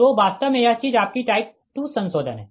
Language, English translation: Hindi, so this is actually type four modification